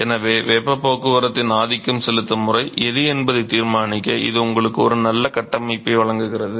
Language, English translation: Tamil, So, therefore, it gives you a nice framework to decide which one is the dominating mode of heat transport